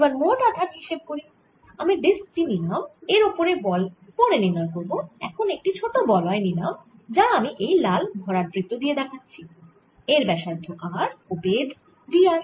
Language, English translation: Bengali, suppose i take this disc this is on the side, i'll calculate the force little later and i take a small ring, here shown by this red filled circle of radius small r and thickness d r